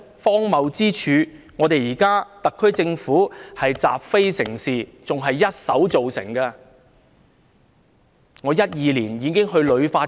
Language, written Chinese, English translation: Cantonese, 荒謬之處是現時特區政府習非成是，這種情況更是它一手造成的。, The absurdity is that the current SAR Government takes what is wrong as right . That situation is simply of its own making